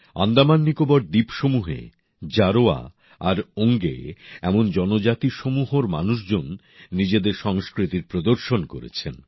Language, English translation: Bengali, In the AndamanNicobar archipelago, people from tribal communities such as Jarwa and Onge vibrantly displayed their culture